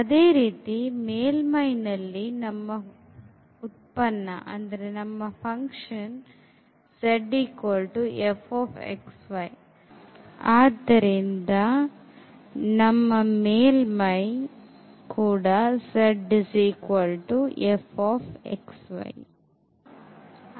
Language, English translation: Kannada, In case of the surface when we have a function z is equal to f x y so, our here the surface is given by z is equal to f x y